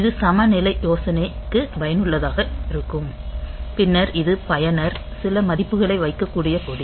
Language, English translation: Tamil, So, that that can be useful for parity check then this is flag the user can put some values there